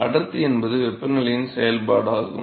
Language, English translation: Tamil, Density is a function of temperature right